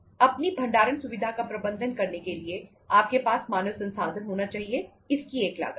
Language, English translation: Hindi, You have to have human resources to manage your storing facility, it has a cost